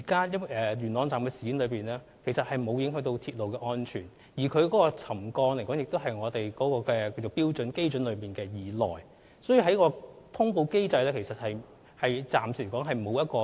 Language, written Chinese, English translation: Cantonese, 元朗站事件其實沒有影響鐵路安全，橋躉沉降幅度亦在標準基準以內，所以，根據通報機制是無需作出通報的。, Indeed railway safety has not been compromised in the Yuen Long incident . As the settlement levels do not exceed the benchmark levels there is no need to make notification according to the existing reporting mechanism